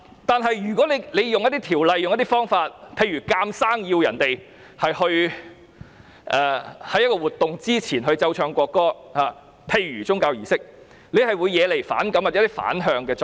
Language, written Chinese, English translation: Cantonese, 但是，若要使用一些條例或方法，強行要求市民在一個活動之前，例如宗教儀式，奏唱國歌，便會惹來反感或產生反向作用。, However if some ordinances or approaches have to be resorted to forcibly require people to play and sing the national anthem before an event such as religious services aversion or reaction will result